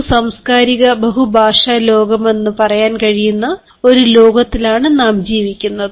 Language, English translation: Malayalam, and as we are living in a world where we can say that we are living the world that is multicultural, multilingual